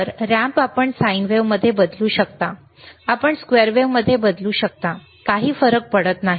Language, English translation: Marathi, So, ramp you can change to the sine wave, you can change the square wave, does not matter